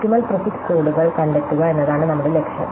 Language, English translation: Malayalam, So, our goal is to find optimal prefix codes